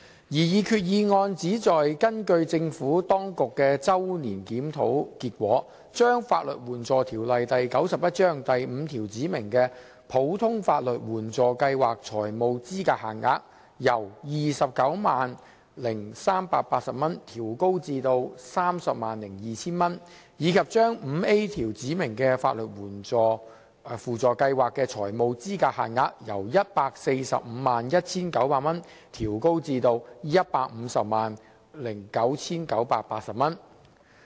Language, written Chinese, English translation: Cantonese, 擬議決議案旨在根據政府當局的周年檢討結果，將《法律援助條例》第5條指明的普通法律援助計劃財務資格限額，由 290,380 元調高至 302,000 元，以及將第 5A 條指明的法律援助輔助計劃財務資格限額，由 1,451,900 元調高至 1,509,980 元。, The proposed resolution seeks to increase the financial eligibility limit under the Ordinary Legal Aid Scheme as specified in section 5 of the Legal Aid Ordinance LAO from 290,380 to 302,000 and the financial eligibility limit under the Supplementary Legal Aid Scheme SLAS as specified in section 5A from 1,451,900 to 1,509,980